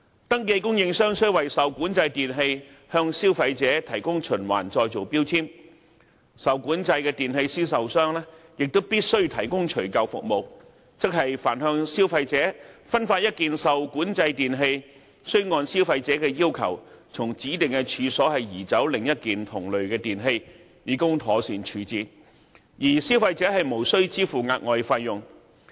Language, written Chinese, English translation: Cantonese, 登記供應商須為受管制電器向消費者提供循環再造標籤，受管制電器銷售商亦必須提供除舊服務，即凡向消費者分發一件受管制電器，須按消費者要求，從指定處所移走另一件同類電器，以供妥善處置，而消費者無需支付額外費用。, Registered suppliers have to provide recycling labels to consumers in respect of REE while REE sellers have to provide removal services ie . for every piece of REE distributed to a consumer one piece of old REE can be removed from the premises designated by the consumer for proper disposal at no charge to the consumer